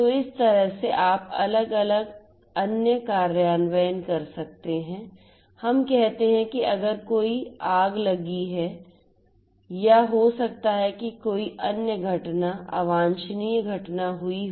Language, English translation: Hindi, So, like this you could have different other implementations, let us say that if there is a fire if there is a fire or maybe if there is some other event you know undesirable event that has happened